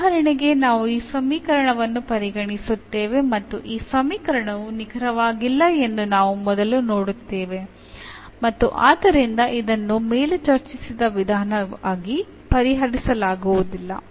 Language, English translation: Kannada, So, for instance we will consider this equation and we will first see that this equation is not exact and hence it cannot be solved as the method discussed above